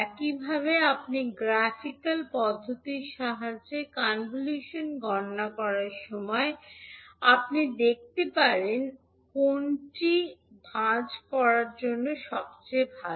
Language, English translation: Bengali, Similarly when you actually calculate the convolution using the graphical approach you can see which one is the best for the folding